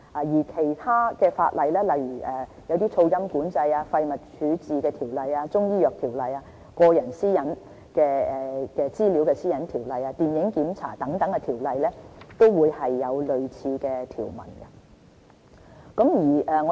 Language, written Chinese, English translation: Cantonese, 而其他法例，例如《噪音管制條例》、《廢物處置條例》、《中醫藥條例》、《個人資料條例》及《電影檢查條例》等，都有有類似條文。, Moreover similar provisions are found in other ordinances such as the Noise Control Ordinance Waste Disposal Ordinance Chinese Medicine Ordinance Personal Data Privacy Ordinance and Film Censorship Ordinance etc